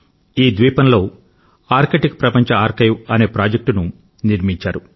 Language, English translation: Telugu, A project,Arctic World Archive has been set upon this island